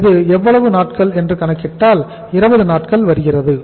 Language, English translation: Tamil, This works out as how much that is 20 days